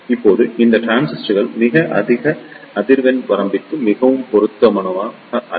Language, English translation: Tamil, Now, these transistors are also not very suitable for very high frequency range